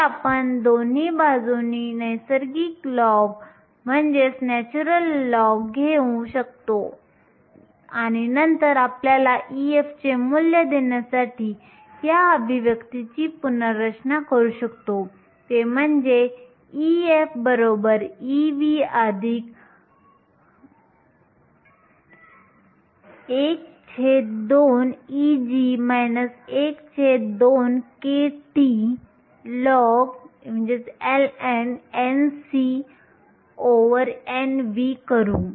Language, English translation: Marathi, So, we can take natural log on both sides and then rearrange this expression to give you the value of e f, do that e f e v plus e g over 2 minus 1 half kT ln of n c over n v